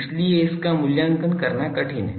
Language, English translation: Hindi, So, that is difficult to evaluate